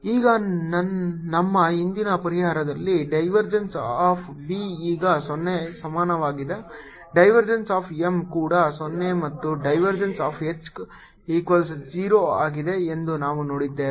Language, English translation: Kannada, now we have seen that divergence of b equal to zero, divergence of m is also zero and divergence of h is zero